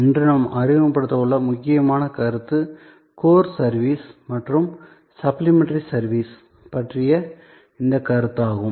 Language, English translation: Tamil, The important concept that we will introduce today is this concept of Core Service and Supplementary Services